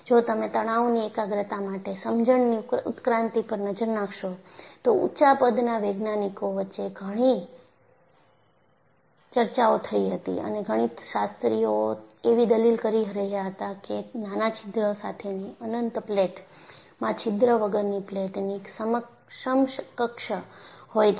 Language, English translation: Gujarati, In fact, if you look at the evolution of understanding of stress concentration, there were very many debates between scientist of all order, and mathematicians were arguing an infinite platewith a small hole is equivalent to a plate without a hole